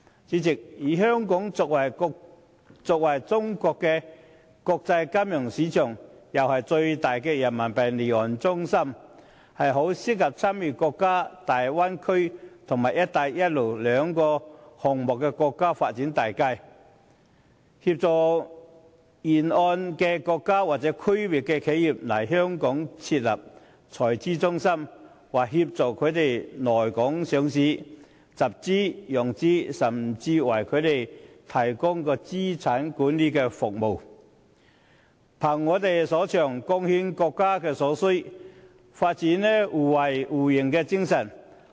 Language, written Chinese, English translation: Cantonese, 主席，香港作為中國的國際金融中心，又是最大的人民幣離岸中心，很適合參與大灣區及"一帶一路"這兩項國家發展大計，協助沿線國家或區內的企業來港設立財資中心、上市、集資或融資，甚至為他們提供資產管理服務，憑我們所長，貢獻國家所需，發揮互惠互贏的精神。, Chairman being the international financial centre for China and the biggest offshore Renminbi business centre Hong Kong is most suitable for participating in the two national development plans namely the Bay Area and the Belt and Road Initiative to assist enterprises along the Belt and Road or in the region in establishing treasury centres listing raising funds or financing in Hong Kong . We can even provide them with asset management services . Capitalizing on our strengths we can contribute to what the country needs pursuing mutual benefits and achieving a win - win situation